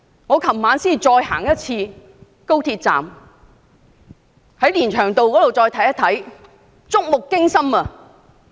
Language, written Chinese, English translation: Cantonese, 我昨晚再次視察高鐵站連翔道一段的情況，觸目驚心。, Last night I again inspected Lin Cheung Road adjacent to the XRL station and the scene was simply shocking